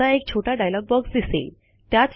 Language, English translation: Marathi, Now a small dialog box comes up